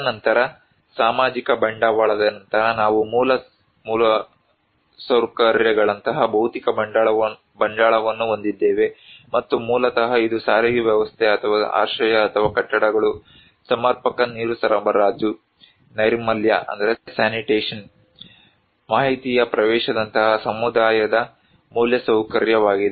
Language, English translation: Kannada, And then after social capital, we have physical capital like basic infrastructures and basically it is the infrastructure of a community like a transport system or shelter or buildings, adequate water supply, sanitation, access to information